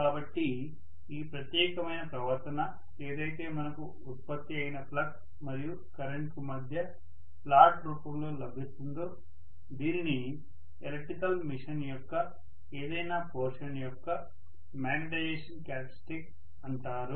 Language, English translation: Telugu, So this particular behavior whatever we get in the form of a plot between the flux produced versus current, that is known as the magnetization characteristics of any of the portions of an electrical machine, right